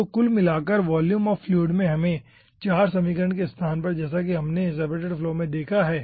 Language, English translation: Hindi, okay, so altogether we have seen in volume of fluid in place of a, 4 equations, as we have seen in our separated flow